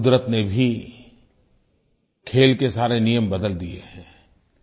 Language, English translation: Hindi, Nature has also changed the rules of the game